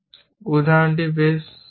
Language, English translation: Bengali, The example is quite a simple one